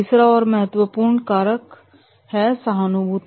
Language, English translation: Hindi, Third and important factor is and that is about the empathy